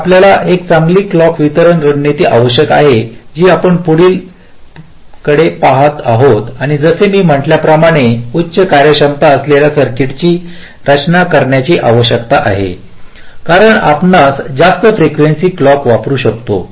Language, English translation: Marathi, so you need a good clock distribution strategy, which we shall be looking at next, and, as i have said, this is a requirement for designing high performance circuit, because we can use clocks of higher frequencies